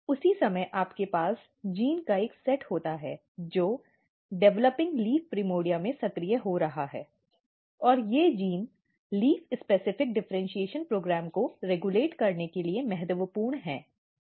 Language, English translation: Hindi, At the same time you have a set of genes, which are getting activated in the developing leaf primordia and these genes are important for regulating leaf specific differentiation program